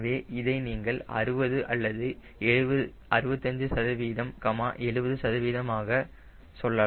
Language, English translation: Tamil, so you can this say sixty or sixty five percent, seventy percent